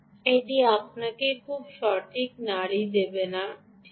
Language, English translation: Bengali, its ot going to give you a very accurate pulse right